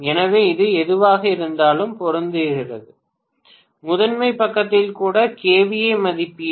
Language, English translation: Tamil, So, hopefully it is matching with whatever is the kVA rating even in the primary side, right